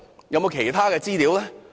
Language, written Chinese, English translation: Cantonese, 有沒有其他資料呢？, Was there any other information?